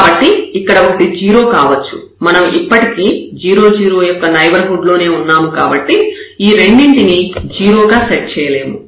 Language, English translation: Telugu, So, 1 can be 0, we will be still in the neighborhood, but we cannot set both to 0 together